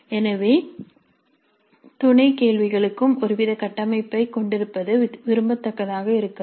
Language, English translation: Tamil, So it may be desirable to have some kind of further structure for the sub questions also